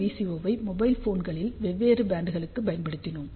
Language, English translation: Tamil, So, we had use that VCO for different bands of mobile phone